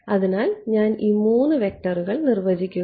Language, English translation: Malayalam, So, I am defining these 3 vectors